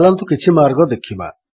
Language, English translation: Odia, Lets look at some of the ways